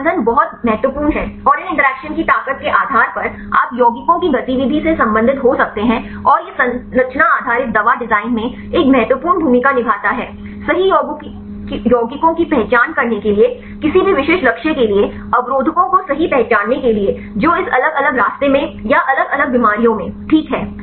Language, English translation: Hindi, So, these binding is very important and based on the strength of these interactions, you can relate with the activity of the compounds and this plays an important role in the structure based drug design; to identify a lead compounds right, to identify the inhibitors right for any specific targets right which are a involved in this different pathways or in different diseases fine